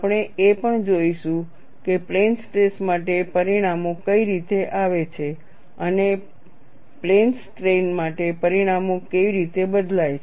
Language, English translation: Gujarati, We will also look at what way the results of plane stress, and how the results change for plane strain